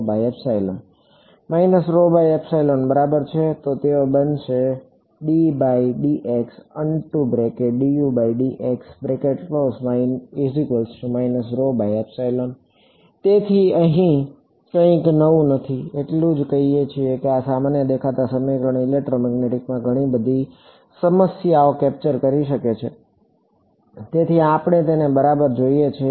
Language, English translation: Gujarati, So, nothing new here just saying that this generic looking equation can capture a lot of problems in electromagnetic, that is why we sort of look at it ok